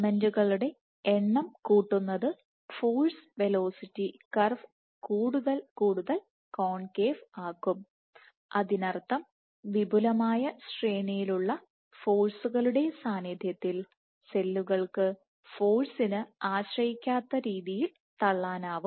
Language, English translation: Malayalam, Increasing the number of filaments will make the force velocity curve more and more concave, which means over a wide range of forces in this range cells can protrude in a force independent manner ok